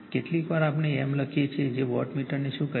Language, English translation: Gujarati, Sometimes we write that you your what you call wattmeter like m